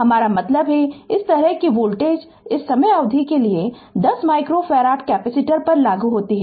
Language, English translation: Hindi, I mean this kind of voltage applied to 10 micro farad capacitor for this time duration